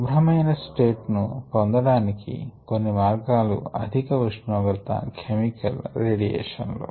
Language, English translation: Telugu, some of the we means of achieving a clean slate is high temperature, chemicals and radiation